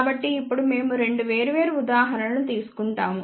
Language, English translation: Telugu, So, now, we will take two different example